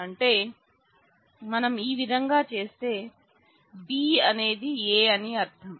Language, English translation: Telugu, So, if we by this what we mean is B is a A